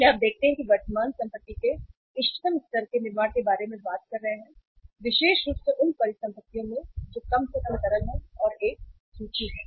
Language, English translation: Hindi, So you see we are talking about building the optimum level of current assets especially those assets which are least liquid and one is the inventory